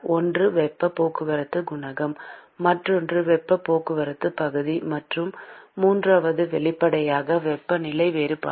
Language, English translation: Tamil, One is the heat transport coefficient; the other one is the area of heat transport; and the third one obviously is the temperature difference